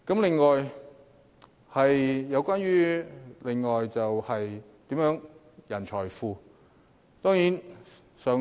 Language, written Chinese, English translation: Cantonese, 另一點關乎人才庫。, Another point is about the talent hub